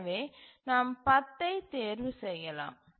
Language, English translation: Tamil, So, you can choose 10